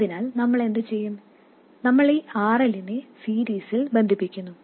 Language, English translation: Malayalam, We just connect this RL in series